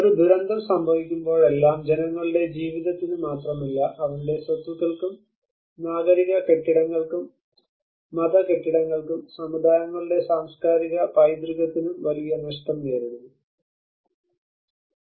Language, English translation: Malayalam, Whenever a disaster happens, we encounter a huge loss not only to the lives of people but to their properties, to the civic buildings, to the religious buildings, to the cultural heritage of the communities